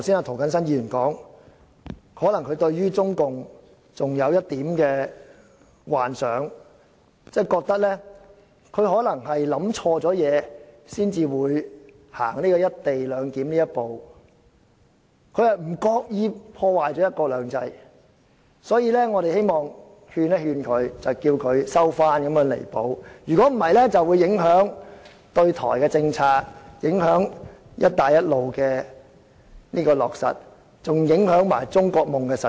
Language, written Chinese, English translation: Cantonese, 涂謹申議員剛才說，可能他對於中共還有一點幻想，覺得中共可能想錯了一些東西，才會推行"一地兩檢"，不自覺地破壞了"一國兩制"，所以他希望勸諭中共收回、作出彌補，否則就會影響對台政策、"一帶一路"的落實，也影響中國夢的實踐。, Mr James TO said earlier that he might still have some illusions about CPC . In his view CPC might have a wrong perception and thus decided to introduce the co - location arrangement thereby inadvertently undermined one country two systems . Thus Mr TO hoped that he could persuade CPC to withdraw its decision and remedy the situation otherwise it would affect Chinas policy towards Taiwan the implementation of the Belt and Road Initiative and the realization of the China Dream